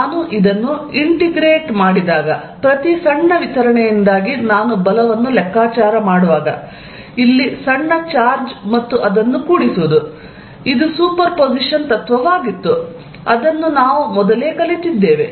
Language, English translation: Kannada, When I integrate this, when I am calculating force due to each small distribution, small charge here and adding it up, which was a principle of superposition we learnt earlier